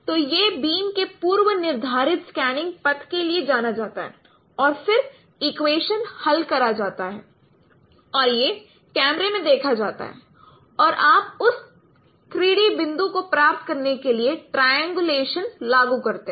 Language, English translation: Hindi, So this is what known for a predetermined scanning path of the beam and then solving the equations and this is observed in camera and you apply triangulation to get the 3D point